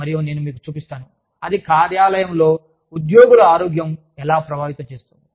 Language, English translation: Telugu, And, i will show you, how that affects, employee health in the workplace